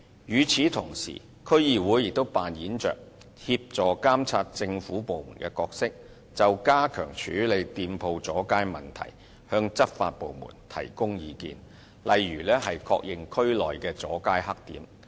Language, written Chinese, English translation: Cantonese, 與此同時，區議會也擔當協助監察政府部門的角色，就加強處理店鋪阻街問題向執法部門提供意見，例如確認區內的"阻街黑點"。, Meanwhile DCs also play a role in assisting the monitoring of government departments and advising law enforcement agencies on the enhancement measures to tackle shop front extensions such as identifying black spots of street obstruction in the districts